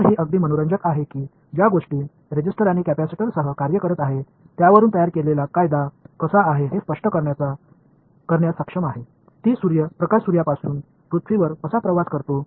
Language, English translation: Marathi, So, its quite interesting that things that are working with the resistors and capacitors, a law that is built on that somehow is able to explain how light travels from the sun to earth